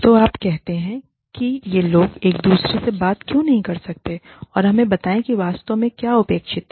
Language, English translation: Hindi, So, you say, why could these people, not talk to each other, and let us know, what exactly is expected